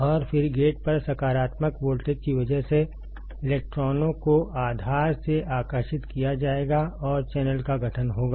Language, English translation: Hindi, And then because of the positive voltage at the gate, the electrons will get attracted from the base and there will be formation of channel